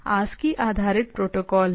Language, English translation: Hindi, ASCII based protocols right